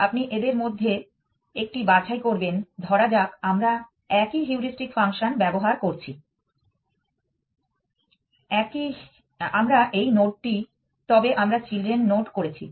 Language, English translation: Bengali, You pick one of them let us say the same heuristic function we are using we take this node, but we generated children